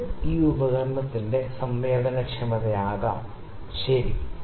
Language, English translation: Malayalam, So, this can be the kind of sensitivity of this instrument, ok